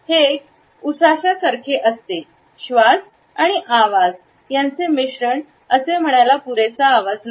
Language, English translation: Marathi, It is a sigh like mixture of breath and voice it is not quite a full voice so to say